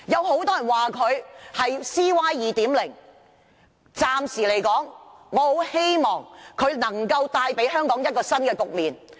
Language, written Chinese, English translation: Cantonese, 很多人說她是 "CY 2.0"， 但我暫時仍很希望她能夠為香港帶來一個新局面。, Although many people have dubbed her CY 2.0 I still hope at least for the time being that she can bring about a new situation for Hong Kong